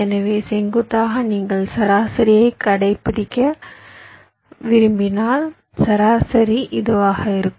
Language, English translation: Tamil, so, vertically, if you you want to find out the median, the median will be this